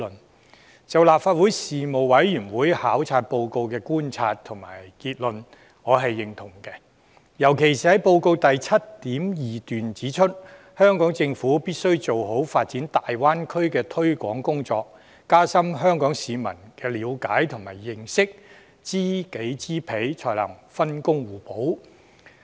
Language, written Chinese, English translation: Cantonese, 我認同立法會事務委員會考察報告的觀察和總結，尤其是報告的第 7.2 段："香港政府必須做好發展大灣區的推廣工作，加深香港市民的了解和認識，知己知彼，才可分工互補。, I agree with the observations and conclusions of the duty visit report produced by the Legislative Council panels especially paragraph 7.2 of the report The Hong Kong Government should do its best in promoting the Bay Area development and deepen Hong Kong peoples understanding in this regard . Hong Kong and its Mainland counterparts must enhance mutual understanding before seeking to complement each other